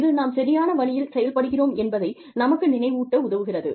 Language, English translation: Tamil, You know, that helps us remind ourselves, that we are doing, something right